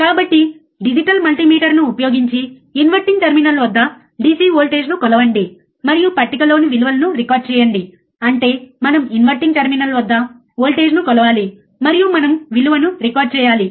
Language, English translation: Telugu, So, what is that use a digital multimeter measure the DC voltage at inverting terminal and record the values in the table; that means, that we have to measure the voltage at inverting terminal, and we have to record the value